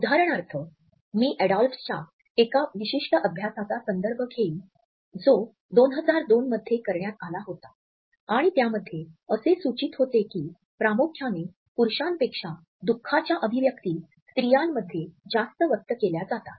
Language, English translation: Marathi, For example, I would refer to a particular study by Adolphs, which was conducted in 2002 and which suggest that the expressions of sadness are mainly expressed more in women than men